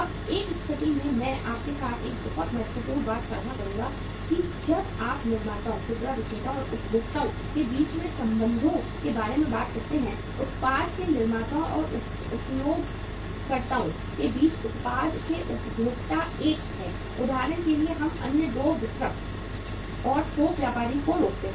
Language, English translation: Hindi, Now in in a situation I would share with you a very important thing that when you talk about the relationship between the manufacturers, retailers, and the consumers right; between the manufacturers and the users of the product, consumers of the product there is one for example we forger the other two, distributor and the wholesaler